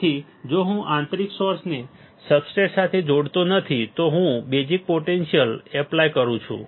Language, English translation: Gujarati, So, if I do not connect internally source to substrate, I do apply a bias potential